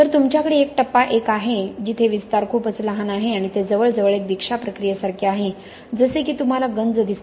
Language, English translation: Marathi, So you have a stage 1 where the expansion is quite small okay and it is almost like an initiation process like what you see in corrosion